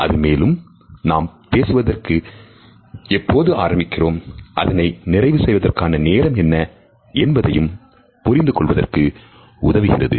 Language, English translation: Tamil, They also help us to understand whether a communication is to be started or when it is the time to end our communication